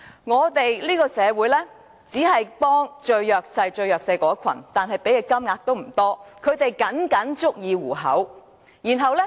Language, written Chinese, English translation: Cantonese, 我們這個社會只幫助最弱勢的一群，但投放的金額也不多，他們僅僅足以糊口。, Our society only helps the most disadvantaged group with however such meagre amounts that are just enough for them to make ends meet